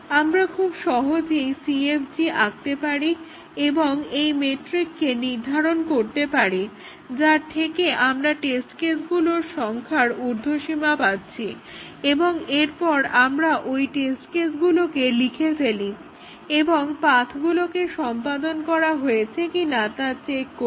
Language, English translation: Bengali, We can easily draw the CFG and find out the McCabe’s metric which gives us upper bound on the number of test cases and then we write those test cases and check whether the paths are executed